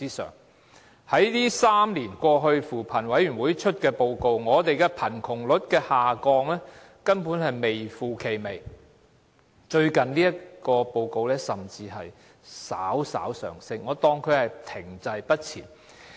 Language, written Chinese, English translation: Cantonese, 在3年過去，根據扶貧委員會發表的報告，我們貧窮率的下降根本是微乎其微，最近報告顯示甚至稍為上升，我當作是停滯不前。, Over the past three years according to the report published by the Commission on Poverty there was only minimal decrease in our poverty rate and the recent report even showed that there was a slight increase which I will regard as remaining stagnant